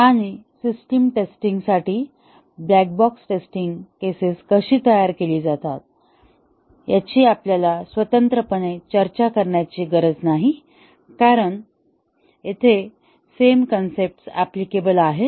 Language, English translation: Marathi, And, we do not have to really discuss separately how the black box test cases are to be designed for system testing because the same concepts are applicable here